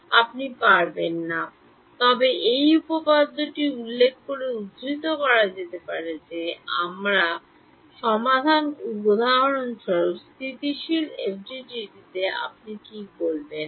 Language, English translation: Bengali, You cannot, but this theorem can be quoted in reference saying that my solution is stable for example, in FTDT what will you say